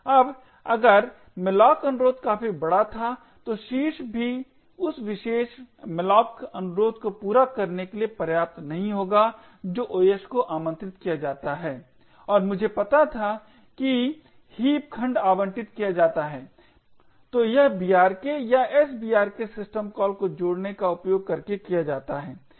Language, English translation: Hindi, Now if the malloc request was large enough so that even the top chunk does not have sufficient memory to satisfy that particular malloc request then the OS gets invoked and I knew heap segment gets allocated, so this is done using the brk in maps or the sbrk system calls